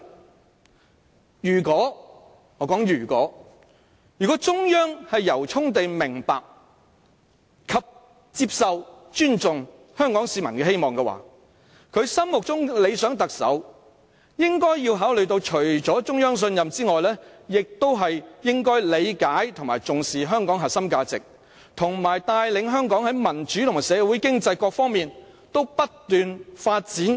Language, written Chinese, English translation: Cantonese, 我說如果，如果中央政府由衷地明白、接受，以及尊重香港市民的期望的話，它心目中的理想特首除了應該獲得中央信任外，亦應要理解和重視香港的核心價值，以及能夠帶領香港市民和社會經濟在各方面不斷發展。, If I mean if the Central Government truthfully understands accepts and respects Hong Kong citizens expectations then an ideal Chief Executive in its concept should be someone who apart from winning its trust understands and attaches importance to the core values of Hong Kong and is capable of leading Hong Kong people and fostering ongoing social and economic developments on all fronts